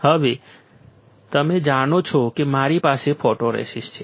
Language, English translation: Gujarati, So, now, you know that you have the photoresist